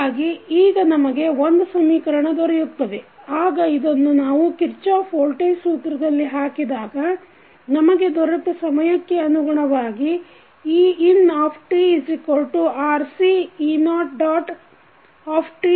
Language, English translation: Kannada, So, now we have got 1 equation, then we put this into the Kirchhoff Voltage Law equation that is ein equal to RCe naught dot plus e naught